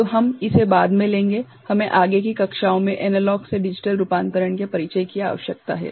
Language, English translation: Hindi, So, we shall take it up we need have a introduction to a analog to digital conversion in subsequent classes